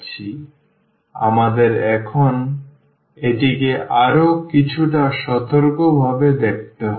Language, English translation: Bengali, So, we have to now look a little bit more careful